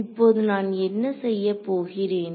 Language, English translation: Tamil, Now, what I am going to do